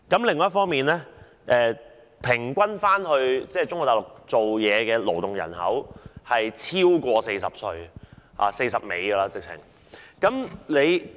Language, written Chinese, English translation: Cantonese, 另一方面，前往中國大陸工作的勞動人口平均年齡超過40歲甚或快將50歲。, Besides those working people who have moved to work on Mainland China are on average over 40 years old or are even approaching 50 years old